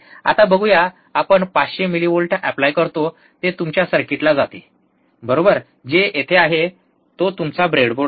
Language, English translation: Marathi, Let see so now, we apply 500 millivolts, it goes to your circuit, right which is, right over here which is your breadboard